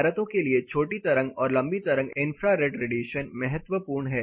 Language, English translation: Hindi, As per buildings infrared is important, short wave as well as long wave radiations are important